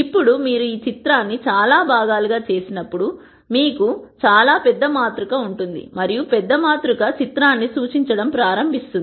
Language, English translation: Telugu, Now, when you make this picture into many such parts you will have a much larger matrix and that larger matrix will start representing the picture